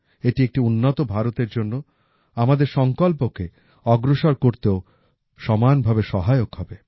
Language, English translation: Bengali, This will provide a fillip to the pace of accomplishing our resolve of a developed India